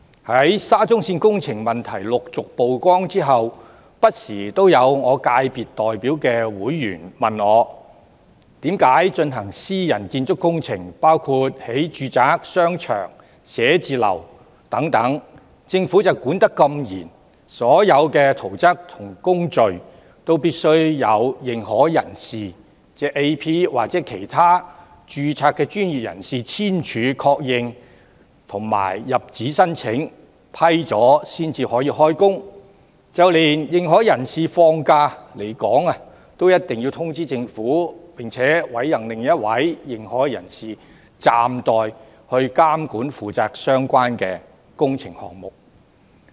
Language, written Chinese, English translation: Cantonese, 在沙中線工程問題陸續曝光後，不時有我所代表界別的人士問我，為何在進行私人建築工程，包括興建住宅、商場、寫字樓等時，政府的監管那麼嚴格，所有圖則和工序都必須經由認可人士或其他註冊專業人士簽署確認和入紙申請，經批准後才可以動工，就連認可人士放假離港都必須通知政府，並委任另一位認可人士負責暫代監管相關工程項目。, Since the problems of the SCL project came to light one after another members of the sector represented by me have asked me from time to time why the Government monitors private construction projects including the construction of housing shopping malls and offices so strictly . All the plans and works procedures require the signature and confirmation of the authorized person AP or other registered professionals and applications must be made . No works can commence until approval is granted